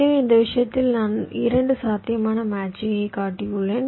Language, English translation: Tamil, so in this case i have showed two possible matchings